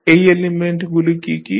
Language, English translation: Bengali, What are those elements